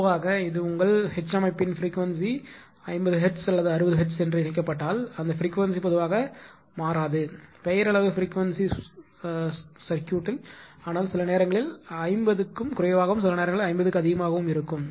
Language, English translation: Tamil, Generally that it is connected to the your your what you call yeah frequency of the system if it is a 50 hertz or 60 hertz that frequency is generally not changing that way right it is around nominal frequency, but sometimes little less than 50 sometimes a little more than 50 right